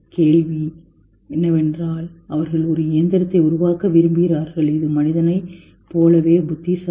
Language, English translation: Tamil, The question is they want to create a machine which is as intelligent as human